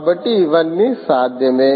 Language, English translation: Telugu, so all of this is possible